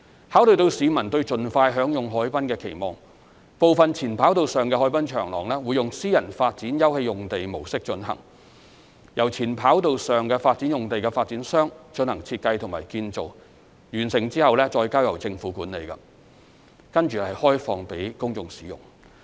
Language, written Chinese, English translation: Cantonese, 考慮到市民對盡快享用海濱的期望，部分前跑道上的海濱長廊會用私人發展休憩用地模式進行，由前跑道上發展用地的發展商進行設計與建造，完成後再交由政府管理，開放予公眾使用。, Taking into consideration the public expectation of being able to enjoy the waterfront area as soon as possible part of the waterfront promenade on the former runway will be developed in the form of private open space development with its design and construction undertaken by the developer of the former runway site . Upon completion the promenade will be handed over to the Government for management and open for public use